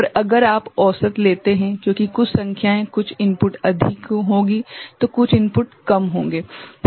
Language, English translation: Hindi, And if you take on average because some numbers some input will be high some input will be low